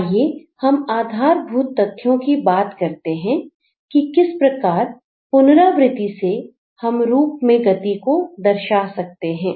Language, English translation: Hindi, Let's come down to the basic and see how we can use repetition to give movement to a form